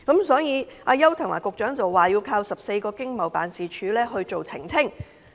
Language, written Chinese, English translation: Cantonese, 所以，邱騰華局長表示，要靠14個經濟貿易辦事處來作出澄清。, Secretary Edward YAU thus said that the Government would have to rely on the 14 Economic and Trade Offices ETO to clarify our situation . I think this is too passive